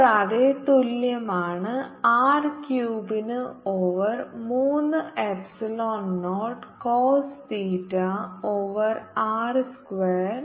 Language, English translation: Malayalam, this potential is given by r k over three epsilon naught, cos theta over r square